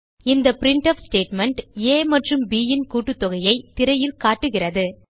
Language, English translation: Tamil, This printf statement displays the sum of a and b on the screen